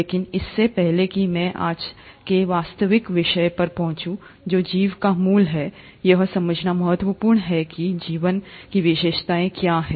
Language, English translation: Hindi, But before I get into the actual topic of today, which is origin of life, it's important to understand what are the features of life